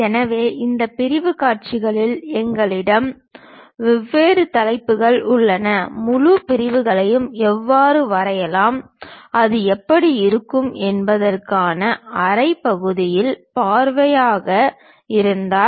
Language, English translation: Tamil, So, in these sectional views, we have different topics namely: how to draw full sections, if it is a half sectional view how it looks like